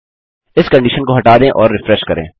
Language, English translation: Hindi, Lets take out this condition and refresh